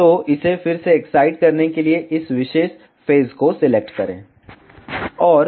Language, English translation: Hindi, So, to excite it again select this particular phase